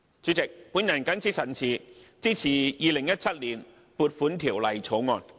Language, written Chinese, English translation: Cantonese, 主席，我謹此陳辭，支持《2017年撥款條例草案》。, With these remarks President I support the Appropriation Bill 2017